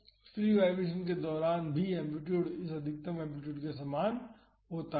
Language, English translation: Hindi, And, during the free vibration also the amplitude is same as this maximum amplitude